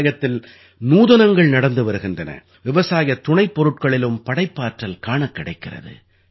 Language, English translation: Tamil, Innovation is happening in agriculture, so creativity is also being witnessed in the byproducts of agriculture